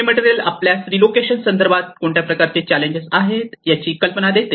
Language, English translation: Marathi, So it will give you an idea of what are the various challenges in the relocation context